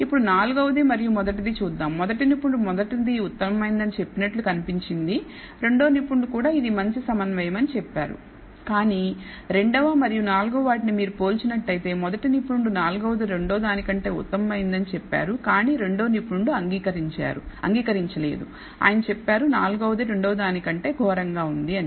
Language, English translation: Telugu, Let us look at the fourth and the first one looks like expert 1 says it is better, expert 2 also says it is better concordant, but the second and fourth if you com pare expert 1 says it is better fourth one is better than the second, but expert 2 disagrees he says the fourth thing is worse than the second one